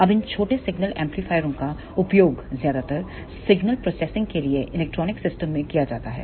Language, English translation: Hindi, Now, these small signal amplifiers are mostly used in electronic systems for signal processing